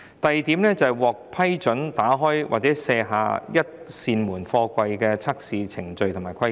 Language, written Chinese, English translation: Cantonese, 第二，是關於獲批准打開或卸下一扇門營運的貨櫃的測試程序及規格。, Second it is about the testing procedures and specifications for containers approved for operation with one door open or removed